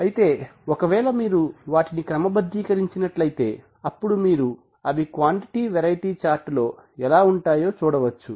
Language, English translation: Telugu, And if you if you organize them then you will see that you will see how they look on the quantity variety chart